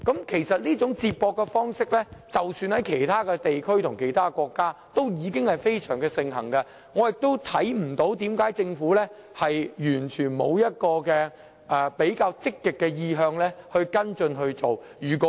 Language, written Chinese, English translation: Cantonese, 其實，這種接駁方式在其他地區或國家已非常盛行，我亦看不到為何政府完全沒有比較積極的意向跟進這做法。, In fact this approach of connection transport is extremely popular in other regions or countries . I do not see why the Government has no clear intention to follow up this approach